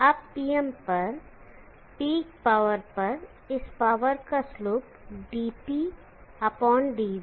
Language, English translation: Hindi, Now at T M at the peak power the slope of this power dp/dv is 0